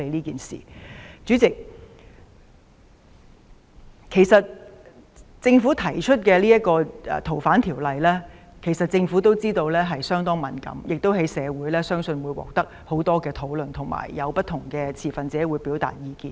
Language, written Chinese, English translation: Cantonese, 主席，政府提出修訂《逃犯條例》時，也知道這事相當敏感，亦相信會在社會上引發很多討論，不同的持份者也會表達意見。, President when the Government proposes amendments to the Fugitive Offenders Ordinance it also knows that this is a very sensitive matter and believes that there will be a lot of discussions in the community while different stakeholders will express their views